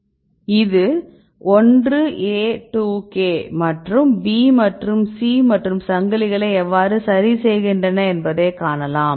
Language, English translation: Tamil, This is for 1A2K right and you can see this is how they repair the chains B and C and